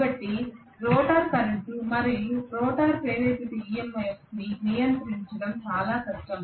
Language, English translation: Telugu, So it is very very difficult to control the rotor current and the rotor induced EMF as well, okay